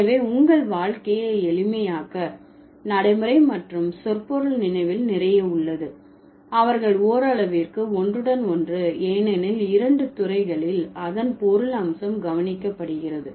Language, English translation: Tamil, So, so just to make your life simpler, remember pragmatics and semantics, a lot of overlapping is there, they are interconnected up to some extent because both the disciplines focus on meaning of it, meaning aspect of it